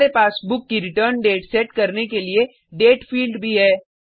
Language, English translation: Hindi, We also have a Date field to set the return date of the book